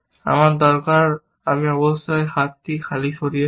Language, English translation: Bengali, So, I have to achieve arm empty